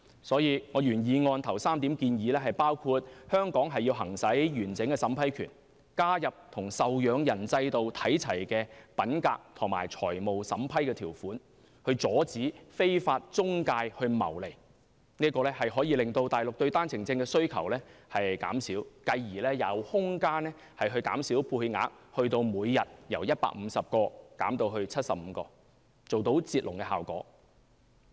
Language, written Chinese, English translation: Cantonese, 因此，我原議案首3項建議包括香港要行使完整審批權，加入與受養人制度看齊的品格及財務審批條款，以期阻止非法中介謀利，這可令內地對單程證的需求減少，繼而有空間把配額由每天150個減至75個，做到"截龍"的效果。, For that reason the first three proposals in my original motion including Hong Kong should exercise the full vetting and approval power . Hong Kong should make it on a par with the dependents system by incorporating the approval conditions on integrity and financial means so as to prevent illegal intermediaries to gain profits . This will reduce Mainlands demand for OWPs and gradually reduce the OWP quota from 150 per day by half to 75 and achieve the stop the queue effect